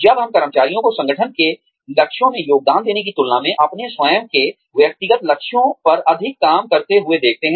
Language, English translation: Hindi, When, we see employees, working more on their own personal goals, than contributing to the organization's goals